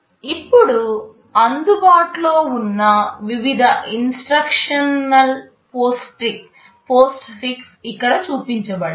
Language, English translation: Telugu, Now the various instruction postfix that are available are shown here